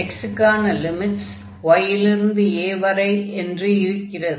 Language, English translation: Tamil, So, this limit here x goes from y to